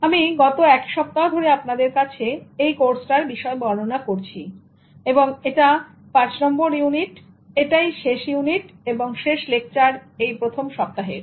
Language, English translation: Bengali, I have been giving this course to you for the past one week and this is the unit 5 and this is the last unit and the last lesson for first week